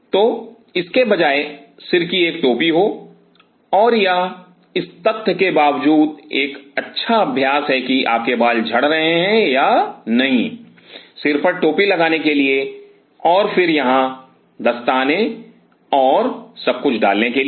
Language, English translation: Hindi, And it is kind of a good practice irrespective of the fact that whether you are having hair fall or not, to put a head cap and then here to put on the gloves and everything